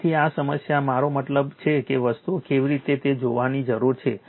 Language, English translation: Gujarati, So, this problem, I mean you have to see how things are right